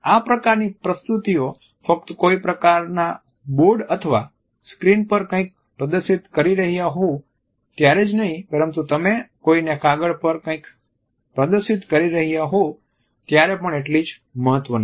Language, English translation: Gujarati, This is important not only during these type of presentations where you are displaying something on some type of a board or a screen, but it is equally important when you are displaying something on a piece of paper to someone